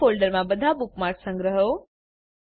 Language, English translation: Gujarati, * Save all the bookmarks in a new folder